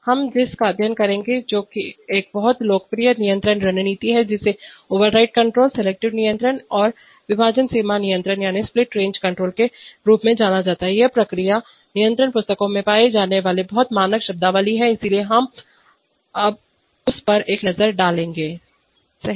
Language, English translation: Hindi, Which is a very popular control strategy, we will study something which is known as override control, selective control and split range control, these are very standard terminologies in found in process control books, so we will take a look at that, right